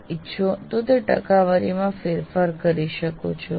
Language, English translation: Gujarati, If one wants, you can also rearrange the percentages as you wish